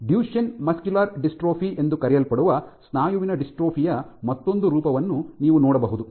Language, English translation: Kannada, You have another form of muscular dystrophy called Duchene muscular dystrophy where the entire